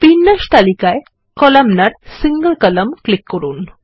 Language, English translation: Bengali, Let us click on the Columnar, single column layout list